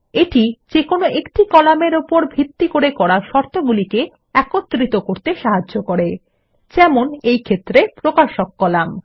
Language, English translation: Bengali, It helps to combine conditions based on a single column, in this case, the Publisher